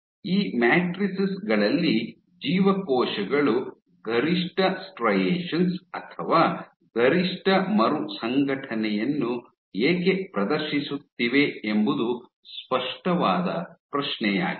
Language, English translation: Kannada, So, the obvious question was why is it that the cells are exhibiting, maximum striation or maximum reorganization on these matrices